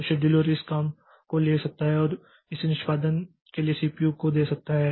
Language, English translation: Hindi, So, the scheduler can take this job and give it to the CPU for execution